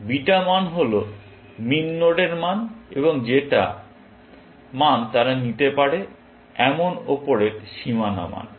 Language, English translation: Bengali, Beta values are values of min nodes, and they are upper bounds on the